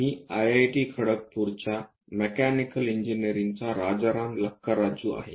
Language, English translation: Marathi, I am Rajaram Lakkaraju from Mechanical Engineering, IIT, Kharagpur